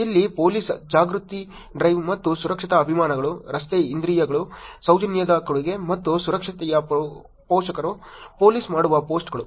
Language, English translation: Kannada, Here in terms of police, awareness drive and safety campaigns, road senses, the offering of courtesy, and the parent of safety, things the posts that police do